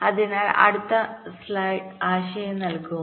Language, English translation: Malayalam, so the next slide will give an idea